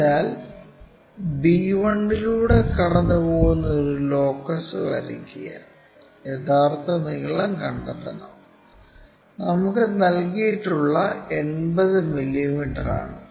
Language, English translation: Malayalam, So, draw a locus which pass through b 1 and we have to locate true length, which is a given one 80 mm, this length we have to locate it all the way on that locus so this one